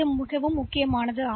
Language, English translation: Tamil, But this is very important